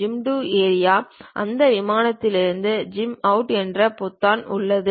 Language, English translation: Tamil, There are buttons like Zoom to Area, zoom out of that plane also